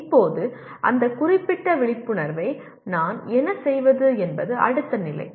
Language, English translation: Tamil, Now what do I do with that particular awareness is the next level